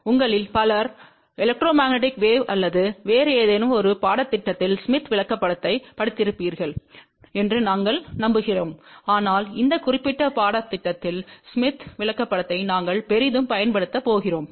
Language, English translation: Tamil, I am sure many of you would have studied smith chart in the electromagnetic waves or some other course, but since we are going to use smith chart in this particular course very heavily